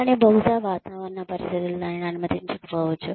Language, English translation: Telugu, But, maybe the weather conditions, do not allow it